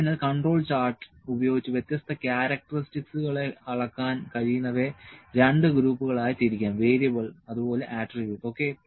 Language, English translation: Malayalam, So, the different characteristics can be measured using by control chart can be divided into two groups: Variable and Attribute, ok